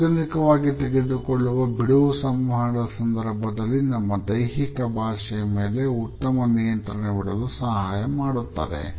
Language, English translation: Kannada, Relaxation in public would also enable us to have a better control on our body language during our interaction